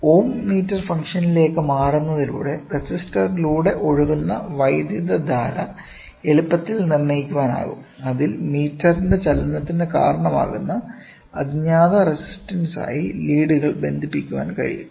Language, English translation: Malayalam, The current flowing through the resistor can easily be determined by switching over to the ohm meter function, wherein, the leads can be connected to the unknown resistance that causes the meter movement